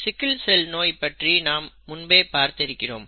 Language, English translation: Tamil, We have already seen the sickle cell disease; let us review this